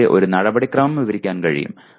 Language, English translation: Malayalam, I can describe a procedure